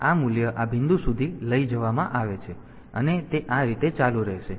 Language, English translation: Gujarati, So, this value is carried over to this point, and it will continue like this